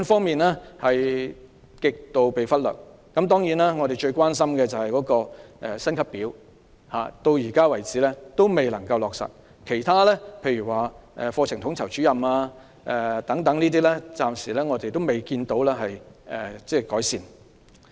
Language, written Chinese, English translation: Cantonese, 幼稚園是極度被忽略，我們最關心的是幼師薪級表，至今仍未能落實；其他例如缺乏課程統籌主任等問題，亦暫時未見改善。, Kindergartens have been the most neglected issue . A pay scale for kindergarten teachers which is of the biggest concern to us has not been implemented . Other issues such as the absence of a Curriculum Leader is also not addressed